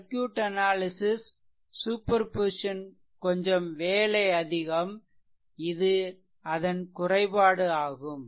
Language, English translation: Tamil, So, circuit analysis superposition may very lightly involved more work and this is a major disadvantage